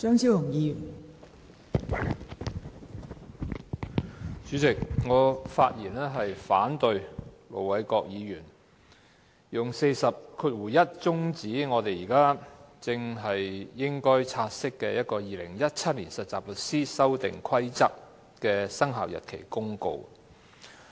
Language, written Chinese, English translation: Cantonese, 代理主席，我發言反對盧偉國議員引用《議事規則》第401條，中止現正要察悉的《〈2017年實習律師規則〉公告》的討論。, Deputy President I rise to speak in opposition to the invocation of Rule 401 of the Rules of Procedure RoP by Ir Dr LO Wai - kwok to adjourn the discussion on the Trainee Solicitors Amendment Rules 2017 Commencement Notice the Notice we are now taking note of